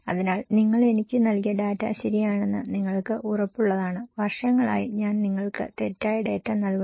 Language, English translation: Malayalam, So, here is this that are you sure that data you gave me is correct, I have been giving you incorrect data for years